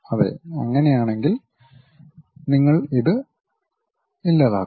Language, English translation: Malayalam, Yes, if that is the case you delete it